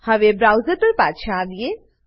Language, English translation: Gujarati, Now, switch back to the browser